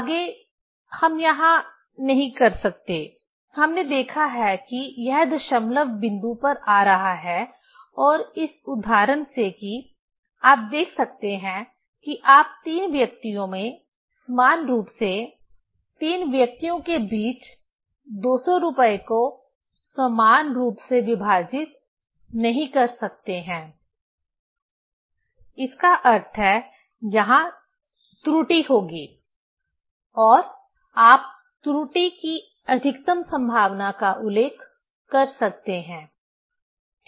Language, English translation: Hindi, Next we cannot here, we have seen that it is coming in decimal point and from this example that you can see that you cannot equally divide rupees 200 among three persons, 3 people right; means, there will be error and you can mention maximum possibility of error, right